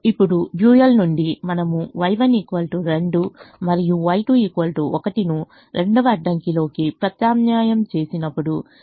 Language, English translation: Telugu, now from the dual when we substitute y one equal to two and y two equal to one, in the second constraint, we get six plus three equal to nine